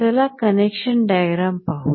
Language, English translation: Marathi, Let us look at the connection diagram